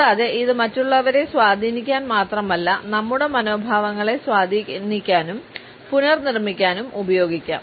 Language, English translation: Malayalam, And, it can be used not only to influence other people, but it can also be used to influence and reshape our own attitudes